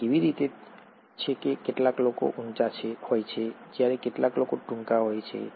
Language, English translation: Gujarati, And how is it that some people are taller, while some people are shorter